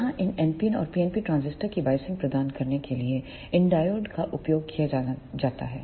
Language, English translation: Hindi, Here these diodes are used to provide the biasing to these NPN and PNP transistors